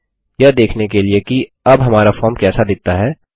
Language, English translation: Hindi, To see how our form looks like now